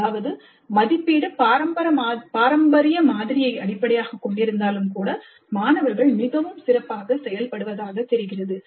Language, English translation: Tamil, That means even if the assessment is based on the traditional model, the students seem to be doing extremely well